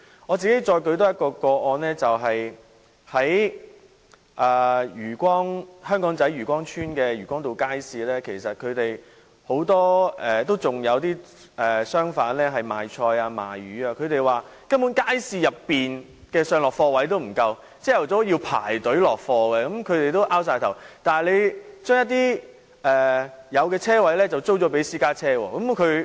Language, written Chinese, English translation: Cantonese, 我再多舉一宗個案為例，就是在香港仔漁光邨的漁光道街市，其實仍有很多賣菜或賣魚的商販，他們說街市內的上落貨位不足，早上要排隊落貨，他們也很無奈，但政府卻將車位租給私家車車主。, Let me mention another example which is the case of Yue Kwong Road Market in Yue Kwong Chuen Aberdeen . In fact many stall owners are still selling vegetables and fish there . According to them there is a shortage of places for loading and unloading goods in the market